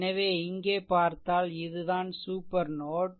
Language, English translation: Tamil, So, if you look here this is actually super node, right